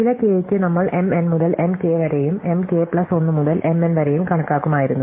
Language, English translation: Malayalam, So, for some k we would have computed M 1 to M k and M k plus 1 to M n